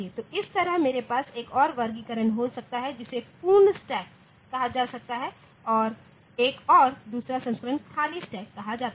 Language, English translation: Hindi, So, this way I can have another classification one is called full stack full stack and another is called another version is called empty stack